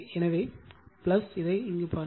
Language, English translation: Tamil, So, plus just see this